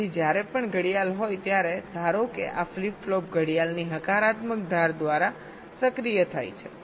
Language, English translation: Gujarati, so whenever there is a clock, suppose, this flip flop is activated by the positive edge of the clock